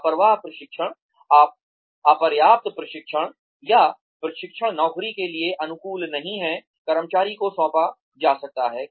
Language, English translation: Hindi, Negligent training is insufficient training, or training not suited for the job, the employee may be assigned